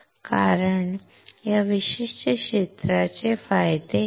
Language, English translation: Marathi, But what about this particular area